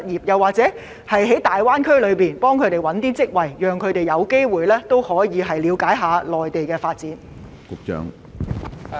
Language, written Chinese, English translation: Cantonese, 又或會否協助他們在大灣區尋找合適職位，讓他們有機會了解內地的發展？, Or will the Bureau help fresh graduates look for suitable jobs in the Greater Bay Area so that they can learn about the development of the Mainland?